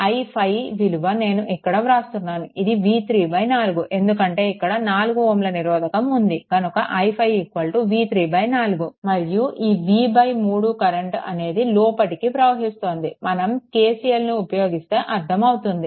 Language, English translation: Telugu, So, your i 5 ah making it here i 5 that will be is equal to v 3 by 4 because this is your 4 ohm resistance is there, that will be your i 5 is equal to v 3 by 4 right and this v by 3 current it is entering right when we will apply KCL, accordingly it can understand